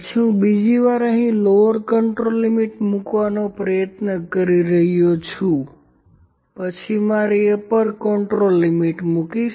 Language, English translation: Gujarati, Then I am trying to put; I am trying to put here your just a second time to put a my lower control limit here first then I will put my upper control limit